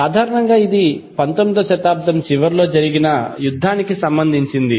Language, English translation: Telugu, Basically this is related to a war that happened in late 19th century